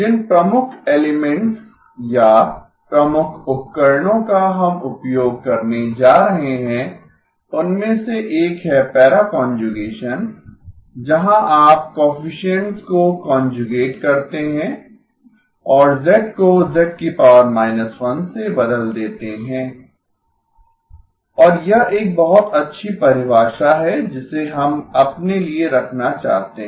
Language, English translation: Hindi, One of the key elements or key tools that we are going to be using is the para conjugation, where you conjugate the coefficients and replace z with z inverse and this is a very good definition that we want to keep for us